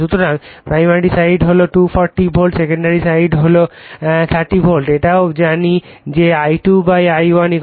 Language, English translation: Bengali, So, primary side is 240 volt secondary side is 30 volts also we know that I2 / I1 = K